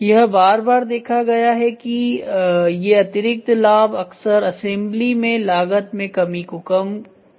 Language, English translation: Hindi, It has been repeatedly observed that these secondary benefits often overweight the cost reduction in assembly cost reduction in assembly